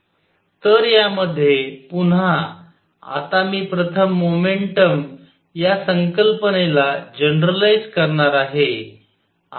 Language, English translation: Marathi, So, in this again, now I am going to now first generalize the concept of momentum